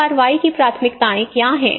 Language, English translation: Hindi, So what are the priorities of action